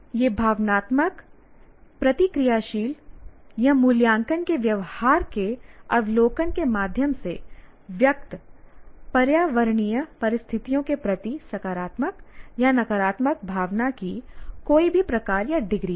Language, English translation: Hindi, So, what is an affect is any type or degree of positive or negative feeling toward environmental circumstances expressed by means of observable display of emotive reactive or evaluative behavior